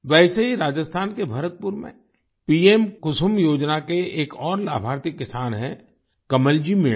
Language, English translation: Hindi, Similarly, in Bharatpur, Rajasthan, another beneficiary farmer of 'KusumYojana' is Kamalji Meena